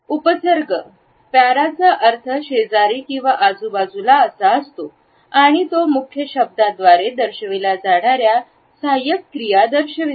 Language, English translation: Marathi, The prefix para means beside or side by side and denotes those activities which are auxiliary to a derivative of that which is denoted by the base word